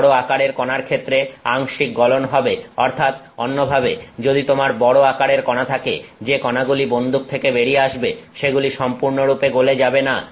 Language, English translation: Bengali, Large particles partial melting so, in other words if you have large particles, the particles that are coming out of that gun have not completely melted